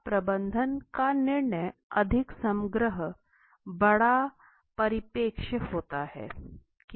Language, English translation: Hindi, Now management decision is more holistic, larger perspective right